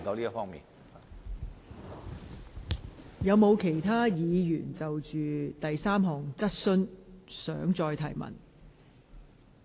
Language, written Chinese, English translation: Cantonese, 是否有其他議員想就第三項質詢提出補充質詢？, Does any other Member wish to raise supplementary question on the third question?